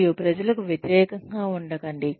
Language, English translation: Telugu, And, do not be against people